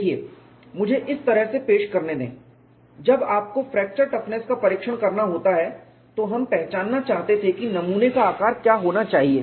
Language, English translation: Hindi, See let it put it this way, when you have to do the fracture toughness testing; we wanted to identify what should be the size of the specimen